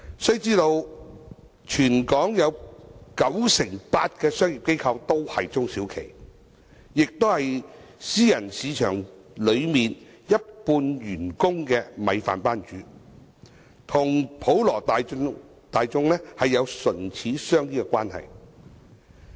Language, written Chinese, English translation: Cantonese, 須知道全港有九成八的商業機構都是中小企，也是私人市場一半員工的"米飯班主"，與普羅大眾有唇齒相依的關係。, It should be noted that SMEs account for 98 % of the business operations in Hong Kong . They are the bosses of half of the employees in the private market and have formed a mutually dependent relationship with the general public